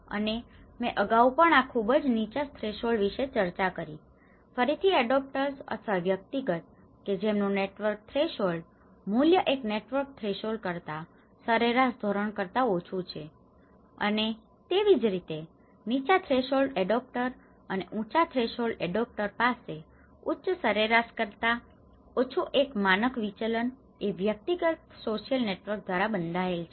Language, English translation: Gujarati, And I have already discussed about this very low threshold, again the adopters or the individual whose network threshold value is greater than one standard deviation lower than the average that network threshold and similarly, the low threshold adopters and the high threshold adopters have a personal social networks bounded by one standard deviation lower than the higher average